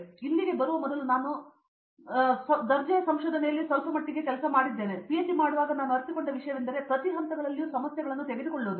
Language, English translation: Kannada, So, I did cook quite bit of under grade research also before coming here and the thing which I realized doing while doing PhD is that problems unfold itself at every stages